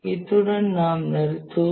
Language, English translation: Tamil, We'll stop at this point